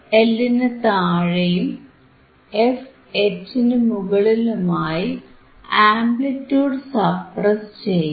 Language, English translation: Malayalam, While below the fL and above fH, the amplitude is suppressed